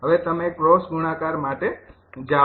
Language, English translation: Gujarati, go for cross multiplication